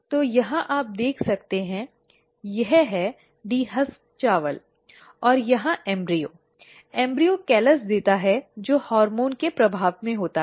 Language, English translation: Hindi, So, here you can see this is the dehusked dehusked rice and here the embryo; the embryo gives the callus which is under the influence of hormones